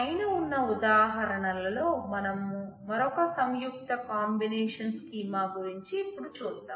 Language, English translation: Telugu, Of these examples, let us say we look into another combined combination of schema